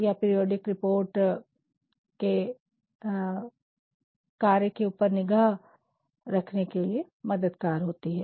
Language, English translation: Hindi, These periodic reports help us to monitor operations